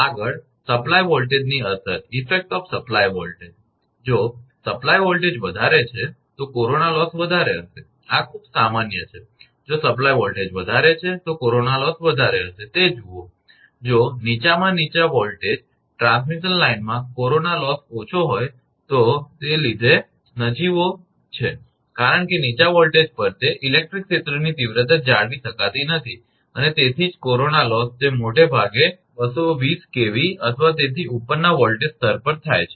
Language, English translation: Gujarati, Next, effect of supply voltage; if the supply voltage is high, corona loss will be high this is very common, see if supply voltage is high corona loss will be high; if low in low voltage transmission line corona loss is negligible due to insufficient electric field to maintain self sustained ionisation because at low voltage that is electric field intensity cannot be maintained, that is why corona loss it happens mostly 220 kV or above voltage level